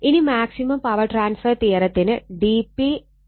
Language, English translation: Malayalam, Now, for maximum power transfer theorem d P upon d R L is equal to 0 right